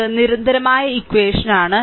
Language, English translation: Malayalam, This is equation 2